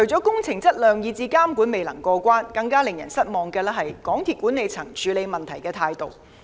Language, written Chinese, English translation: Cantonese, 工程質量以至監管未能過關之餘，更令人失望的是港鐵公司管理層處理問題的態度。, In addition to the quality of works and supervision being not up to par we find the attitude of the MTRCL management in dealing with the problems even more disappointing